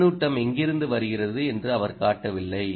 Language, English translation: Tamil, he has not shown as where the feedback is coming